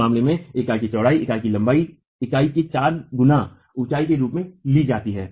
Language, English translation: Hindi, In this case, the unit width is, the unit length is taken as four times the height of the unit itself